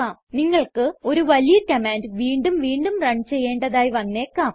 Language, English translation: Malayalam, It may happen that you have a large command that needs to be run again and again